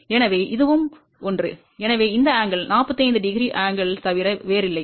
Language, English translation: Tamil, So, this one and this one, so this angle is nothing but angle of 45 degree